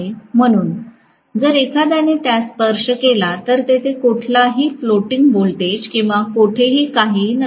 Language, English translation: Marathi, So, if somebody touches it, there will not be any floating voltage or anywhere, anything will be coming